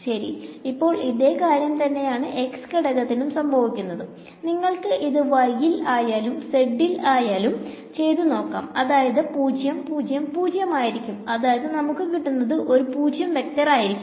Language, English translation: Malayalam, So, now, this same this was for the x component, you can apply to the y to the z you will get 0 0 0; you will get actually I should write this as the 0 vector